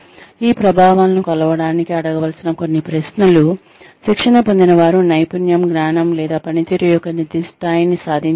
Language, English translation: Telugu, Some questions, that one needs to ask, to measure these effects are, have the trainees achieve the specific level of skill, knowledge, or performance